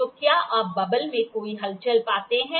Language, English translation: Hindi, Do you find any movement in the bubble